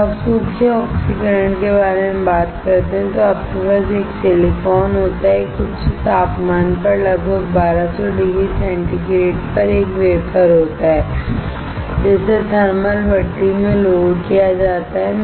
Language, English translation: Hindi, When you talk about dry oxidation, you have silicon, a wafer at very high temperature about 1200 degree centigrade, loaded into a thermal furnace